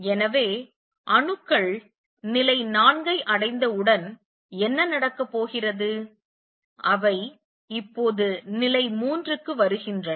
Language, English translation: Tamil, So, what is going to happen as soon as the atoms reach level 4, they going to come now the level 3